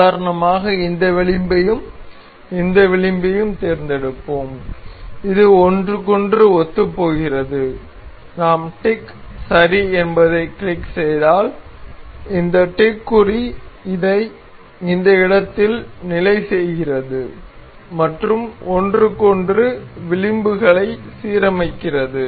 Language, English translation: Tamil, For instance we will select this edge and this edge, this coincides with each other and if we click tick ok, this tick mark it fixes this position as and aligns edges with each other